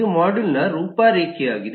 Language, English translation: Kannada, this is the module outline